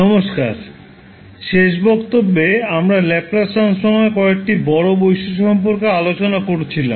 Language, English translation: Bengali, Namaskar, so in last class we were discussing about the few major properties of the Laplace transform